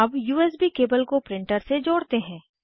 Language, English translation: Hindi, Lets connect the USB cable to the printer